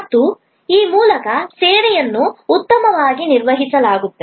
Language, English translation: Kannada, And thereby actually the service will be performed well